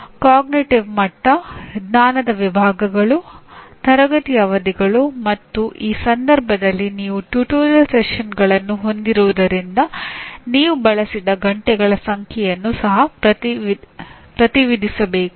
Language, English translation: Kannada, Cognitive level, knowledge categories, classroom sessions and because in this case you have tutorial sessions you also represent number of hours that are used